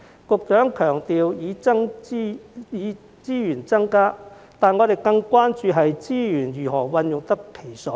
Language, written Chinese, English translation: Cantonese, 局長經常強調增加資源，但我們更關注資源是否用得其所。, While FS has been stressing the need to increase resources we are more concerned about the proper use of resources